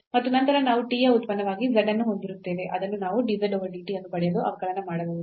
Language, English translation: Kannada, So, now we have z as a function of t and we can get dz over dt there